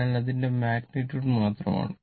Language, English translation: Malayalam, So, it is magnitude only